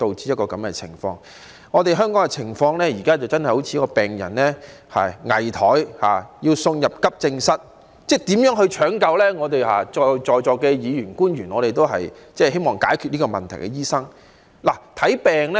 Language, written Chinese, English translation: Cantonese, 香港現在的情況好像一個危殆的病人，要送入急症室搶救，而在座議員和官員都是希望解決這個問題的醫生。, The present situation of Hong Kong can be likened to a critical patient who must be admitted to the Accident and Emergency Department for resuscitation and the Members and government officials present are the doctors who are eager to resolve this problem